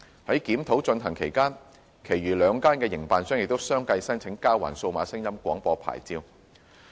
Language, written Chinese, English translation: Cantonese, 在檢討進行期間，其餘兩間營辦商也相繼申請交還數碼廣播牌照。, While the review was in progress the remaining two DAB operators also submitted applications for the surrender of their DAB licences